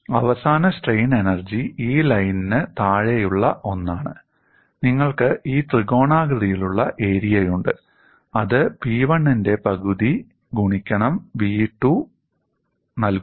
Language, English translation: Malayalam, It is below this line and you have this triangular area, mathematically it is half of P 1 into v 1